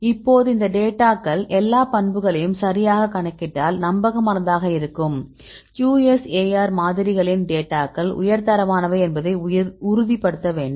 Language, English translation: Tamil, So, now if we have these data and calculate the all the properties right, then to reliable QSAR models right we need to ensure the data are of high quality